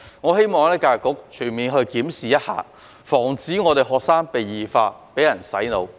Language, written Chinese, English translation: Cantonese, 我希望教育局可以全面檢視，防止學生被異化，被人"洗腦"。, I hope that EDB can conduct a comprehensive review so that students can be freed from morbid changes and brainwashing